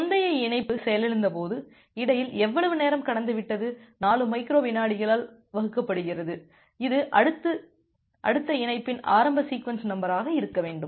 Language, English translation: Tamil, And when the previous connection got crashed how much time has been passed in between, divided by the 4 microsecond that should be the initial sequence number of the next connection